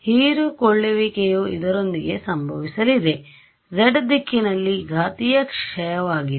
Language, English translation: Kannada, The absorption is going to happen along this it is the exponential decay along the z direction yeah